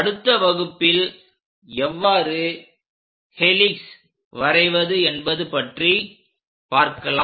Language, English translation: Tamil, In the next class, we will learn about helix how to construct that